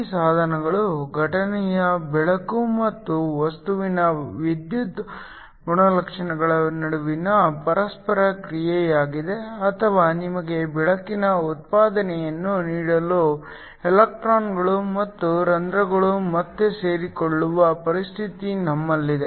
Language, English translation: Kannada, These are devices were this interaction between incident light and the electrical properties of the materiel or you have a situation where electrons and holes recombine in order to give you a light output